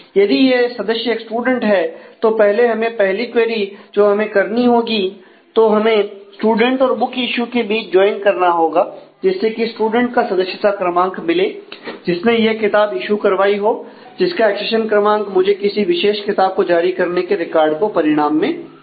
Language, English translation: Hindi, So, if this member is a student then we need the first query where we do a join between student and book issue to find out the student member number who is issued that book where the accession number gives me the particular book issue record from this result will come